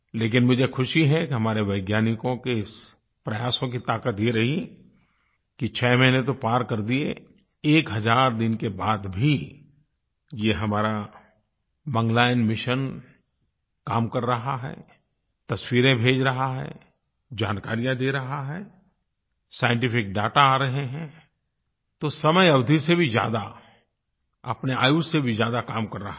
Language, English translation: Hindi, But I'm happy that the strength of the endeavours of our scientists has been such that not only has this crossed six months; even after a thousand days, our Mangalyaan Mission is at work, sending images, providing information, collating scientific data, way beyond its expected duration and life expectancy